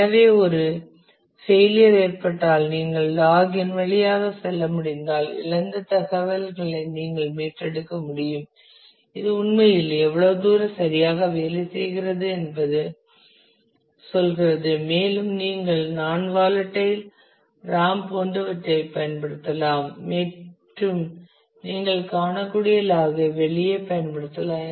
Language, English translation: Tamil, So, if there is a failure, then if you can go through the log and you can actually retrieve the information of what was lost how far it actually worked correctly and you can used exactly like the non volatile ram and using the log you can find out